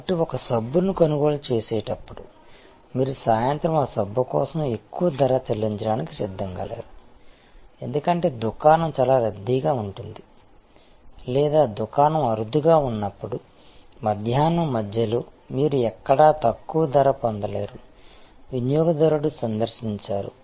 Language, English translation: Telugu, So, when a buying a soap, you are not prepared to pay higher price for that soap in the evening, because the shop is very crowded or nowhere can you actually get a lower price in the middle of the afternoon, when the shop is seldom visited by consumer